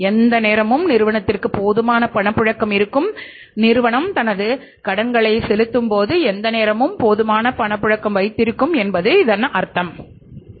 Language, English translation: Tamil, It means all the times the firm will have sufficient liquidity and if the firm has sufficient liquidity then the firm will be able to pay off its debts as and when they become due